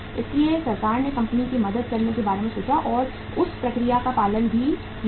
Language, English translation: Hindi, So government thought of helping the company and that process was also followed